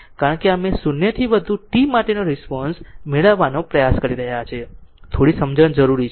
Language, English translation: Gujarati, Because, it is we are trying to obtain the response for t greater than 0, little bit understanding is required